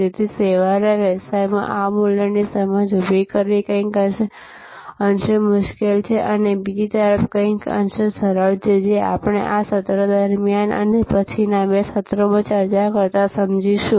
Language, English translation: Gujarati, So, in service business, it is somewhat difficult and on the other hand, somewhat easier to create this value perception, which we will understand as we discuss during this session and in the following couple of sessions